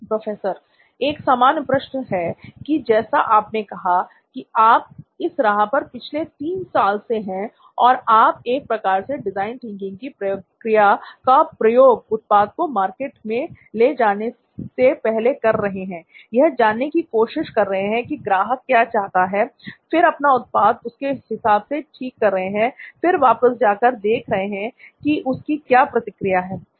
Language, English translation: Hindi, Here is a generic question, if somebody were to start out on a path like what you have said so you are here on this path for 3 years now where you have been doing this sort of design thinking ish process of going to the market, finding out what they want, then fixing your product for that, then going back again and seeing how they react